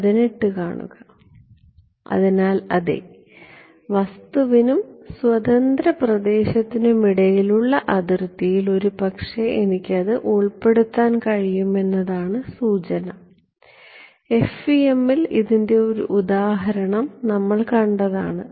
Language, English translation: Malayalam, So yeah the hint is that at the at some interface between the object and free space is possibly where I can introduce this, and we have seen one example of this in the FEM ok